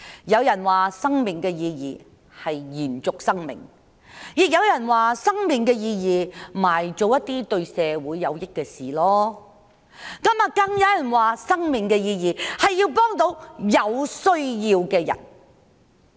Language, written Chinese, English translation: Cantonese, 有人說，生命的意義是延續生命；亦有人說，生命的意義是用來做一些對社會有益的事；更有人說，生命的意義，是要幫助有需要的人。, Some people say that the meaning of life is to continue life; others say that the meaning of life is that it can be used to do something good for society; some even say that the meaning of life is to help those in need